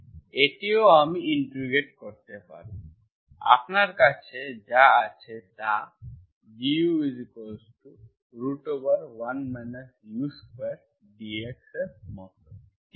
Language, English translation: Bengali, This also I can integrate, what you have is something like du equal to square root of 1 minus u square